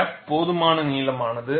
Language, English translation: Tamil, The crack is sufficiently long